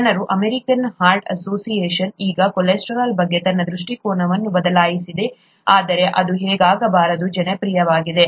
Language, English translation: Kannada, People have, The American Heart Association has changed its view on cholesterol now, but it is popular anyway